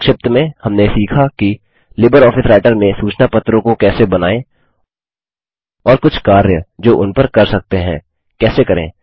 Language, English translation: Hindi, To summarise, we learned about how to Create Newsletters in LibreOffice Writer and few operations which can be performed on them